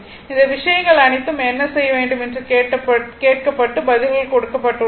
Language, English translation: Tamil, All these things had been asked what you have to do is and answers are given right